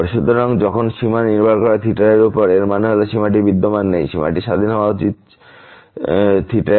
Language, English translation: Bengali, So, when the limit depends on theta; that means, the limit does not exist the limit should be independent of theta